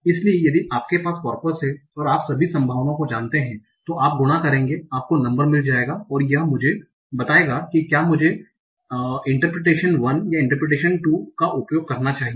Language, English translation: Hindi, So if you have the corpus, you know all the probabilities you will multiply, you'll find a number and this will tell me whether I should prefer interpretation 1 or interpretation 2